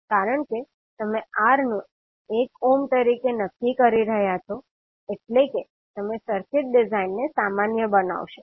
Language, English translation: Gujarati, Because you are fixing R as 1 ohm means you are normalizing the design of the circuit